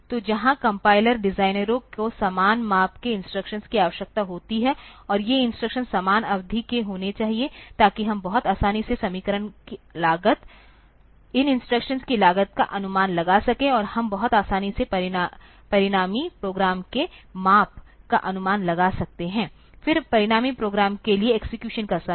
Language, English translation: Hindi, So, where the compiler designers required the instructions to be of equal size, and these instructions to be of equal duration, so that we can very easily predict the cost of equation, cost of these instructions, and we can very easily predict the size of the resulting program, then the execution time for the resulting program